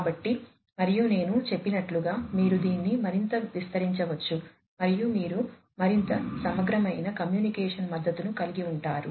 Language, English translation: Telugu, So, and as I said that you can extend this even further and you can have a much more comprehensive kind of communication, you know communication support